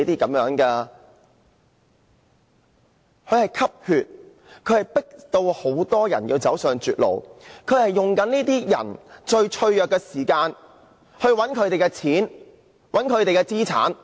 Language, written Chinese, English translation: Cantonese, 它們迫使很多人走上絕路，在這些人最脆弱時，騙取他們的金錢和資產。, They have driven many people into a dead alley defrauding them of their money and assets when they were most vulnerable